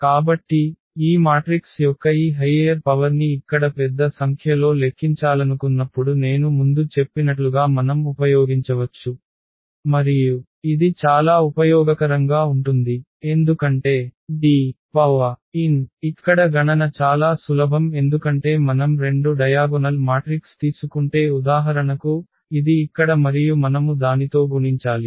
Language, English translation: Telugu, So, we can use as I said before when we want to compute this very high power of this matrix a large number here and then this is very very useful because D power n the computation here is very simple because if we take 2 diagonal matrix for example, this here and we want to multiply with the same